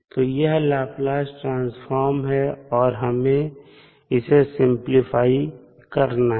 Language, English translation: Hindi, So, this is the Laplace Transform and we want to decompose it